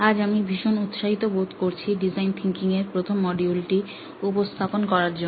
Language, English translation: Bengali, Today, I am very excited to present to you the first module of design thinking